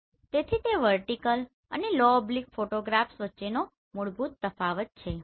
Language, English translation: Gujarati, So this is the basic difference between vertical, low oblique photographs right